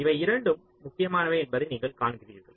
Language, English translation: Tamil, you see, both of these are important